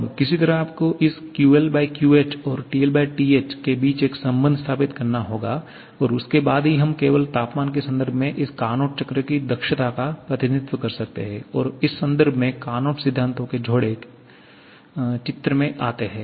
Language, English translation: Hindi, Now, somehow you have to establish a relation between this QL/QH to this TL/TH and then only we can represent the efficiency of this Carnot cycle in terms of temperatures only and in this context, couple of Carnot principles comes into picture